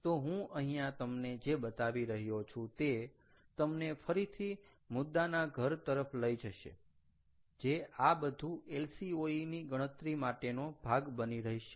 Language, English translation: Gujarati, so the way i am showing this is here is again to drive home the point that all these can be can become part of your lcoe calculations